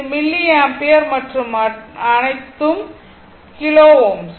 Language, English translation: Tamil, This is milliampere and all are kilo ohm